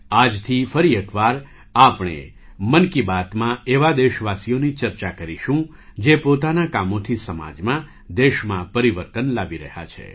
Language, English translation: Gujarati, From today, once again, in ‘Mann Ki Baat’, we will talk about those countrymen who are bringing change in the society; in the country, through their endeavour